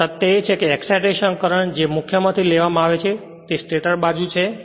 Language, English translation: Gujarati, And the fact that the excitation current must be drawn from the main that is the stator side right